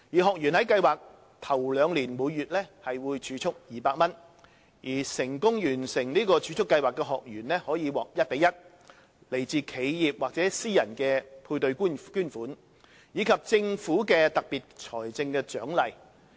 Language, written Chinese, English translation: Cantonese, 學員在計劃首兩年每月會儲蓄200元，成功完成儲蓄計劃的學員可獲一比一、來自企業或私人的配對捐款，以及政府的特別財政獎勵。, In the first two years of the project a participant will save HK200 monthly and upon successful completion of the savings programme the participant can be provided with 1col1 matching contribution made by corporate or private donors and also a special financial incentive provided by the Government